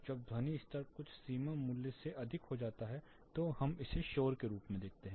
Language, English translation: Hindi, When the sound level exceeds certain threshold value we perceive it as noise